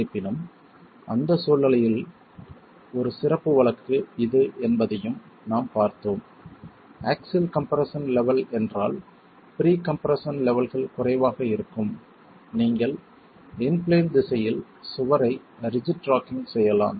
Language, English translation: Tamil, However, we also saw that as a special case of that situation, if the axial compression level, the pre compression levels are low, then you could have rigid rocking of the wall in the in plane direction itself